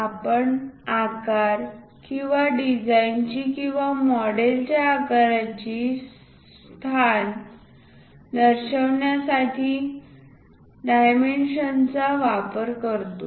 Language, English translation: Marathi, We use dimension to represent size and position of the design or model shape